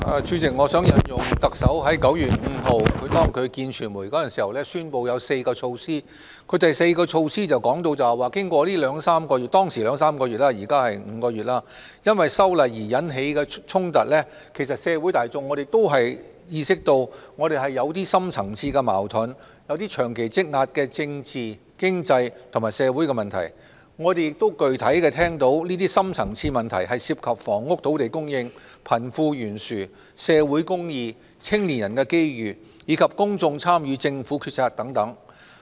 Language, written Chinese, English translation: Cantonese, 主席，我想引述特首在9月5日會見傳媒時宣布的4項措施，第四項措施提到，經過兩三個月——當時是兩三個月，現時是5個月——因為修例而引起的衝突，社會大眾都意識到我們是有深層次矛盾，有些長期積壓的政治、經濟及社會的問題。我們亦具體聽到，這些深層次問題涉及房屋及土地供應、貧富懸殊、社會公義、青年人的機遇，以及公眾參與政府決策等。, President I wish to reiterate the four measures mentioned by the Chief Executive when meeting the press on 5 September . In mentioning the fourth measure she said that after more than two months of social unrest―it had been two months at that time but it has been five months now―it is obvious to many of us that there are deep - seated conflicts and long - accumulated political economic and social issues including the oft - mentioned housing and land supply income distribution social justice and mobility and opportunities for our young people as well as how the public could be fully engaged in the Governments decision - making